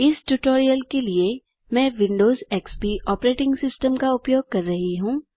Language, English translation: Hindi, For this tutorial I am using Windows XP operating system